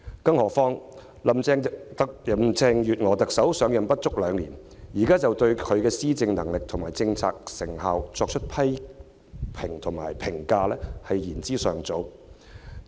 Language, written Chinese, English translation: Cantonese, 更何況，林鄭月娥特首上任不足兩年，現在就對她的施政能力和政策成效作出批評，便是言之尚早。, Moreover Chief Executive Carrie LAM has assumed office for less than two years . It is now premature to criticize at her abilities in administration and the effectiveness of her policies